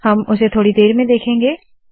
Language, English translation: Hindi, We will see it with the next bit